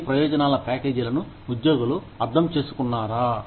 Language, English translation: Telugu, Do the employees, understand these benefits packages